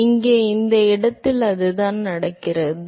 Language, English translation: Tamil, So, that is exactly what happens in this location here